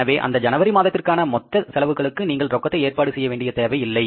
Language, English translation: Tamil, So, for the whole of the month of January, you don't need to arrange the cash